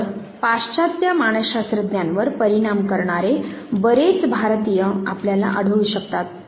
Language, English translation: Marathi, So, you can find whole lot of Indians who have influenced the western psychologists, the work of B